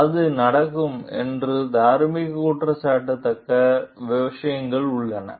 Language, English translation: Tamil, So, this is where it is the moral blameworthy things happen